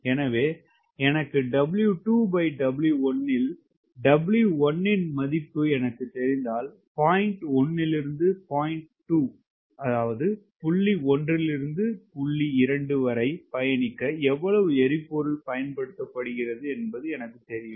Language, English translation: Tamil, i am essentially looking for w one by w two or w two by w one, so that i know if i know w two by w one and if i know the value of w one, i know how much fuel is consumed in traversing from point one to point two